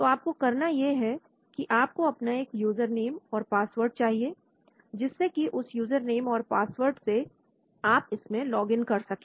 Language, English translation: Hindi, So all you need to do is you need to get a username, password so with that username, password you can log in into that